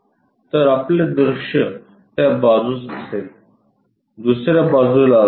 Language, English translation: Marathi, So, our view will be on that side, on the other side we will have it